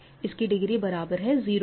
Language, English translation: Hindi, So, its degree is 0